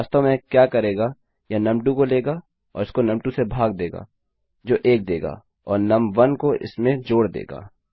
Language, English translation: Hindi, But actually what this does is it takes num2 and divides it by num2 which will give 1 and add num1 to that